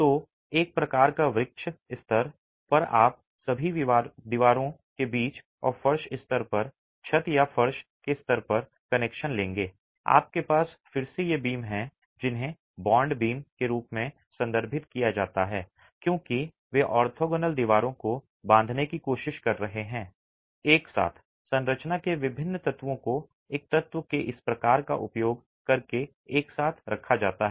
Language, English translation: Hindi, So, at the lintel level you will have connections between all the walls and at the floor level, at the roof of the floor level you again have these beams which are referred to as bond beams simply because they are trying to bond the orthogonal walls together, the different elements of the structure are kept together using this sort of an element